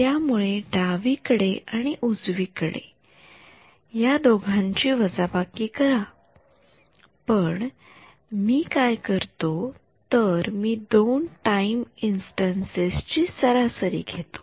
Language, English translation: Marathi, So, E y on the left and E y on the right and subtract these two, but what I do is d E y by dx I am going to take the average over 2 time instance; 2 time instances